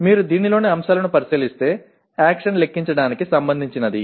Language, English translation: Telugu, If you look at the elements in this, action is related to calculate